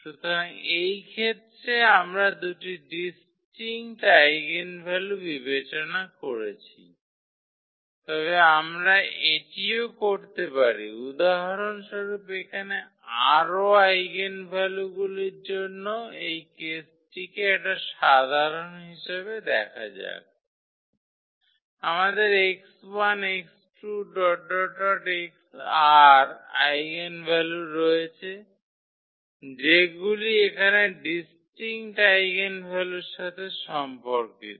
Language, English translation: Bengali, So, this was the case when we have considered two distinct eigenvalues, but we can also generalize this case for more eigenvalues for instance here, we have eigenvalues x 1, x 2, x 3, x r are corresponding to our distinct eigenvalues here